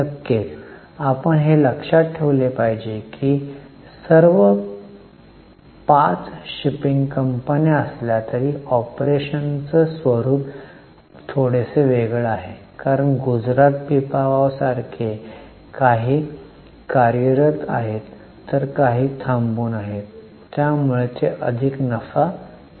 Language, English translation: Marathi, Of course you should keep in mind that though all fire shipping companies nature of operations slightly differ because some are operating some ports like Gujarat Pippalov so they are making more profits